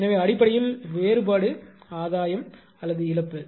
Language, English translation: Tamil, So, basically difference of this thing will be gain or loss whatsoever